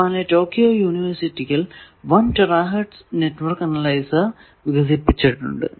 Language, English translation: Malayalam, In Tokyo university they have made one such 1 tera hertz network analyzer